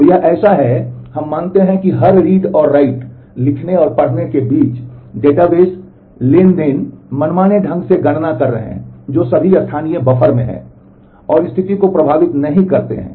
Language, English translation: Hindi, So, this is so, we assume that between every read and write or read and read write and write and so on, the database the transactions may be doing arbitrary computations, which are all in the local buffer and do not affect the state